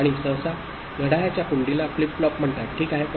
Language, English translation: Marathi, And usually latch with a clock is called a flip flop, ok